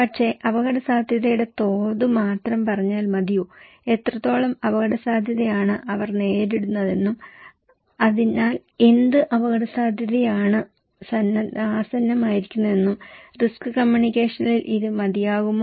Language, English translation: Malayalam, But is it enough, if we only tell them the level of risk that what extent they are going to affected and what risk they are facing therein what risk is imminent, is this enough information in risk communications